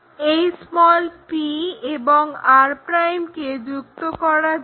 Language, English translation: Bengali, Let us join this p and r' also, p' and r'